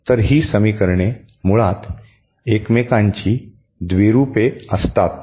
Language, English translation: Marathi, So, the equations are basically the dual of each other